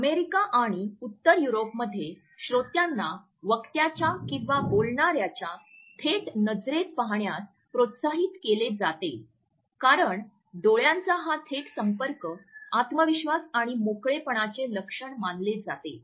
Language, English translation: Marathi, Where is in the US and in northern Europe, listeners are encouraged to look directly into the eyes of the speaker because this direct eye contact is considered to be a sign of confidence and openness